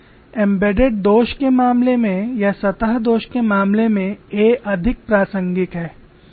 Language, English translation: Hindi, In the case of embedded flaw or in the case of surface flaw a is more relevant